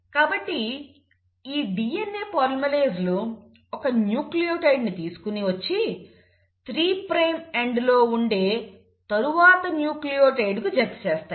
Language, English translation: Telugu, So these DNA polymerases will bring in 1 nucleotide and attach it to the next nucleotide in the 3 prime end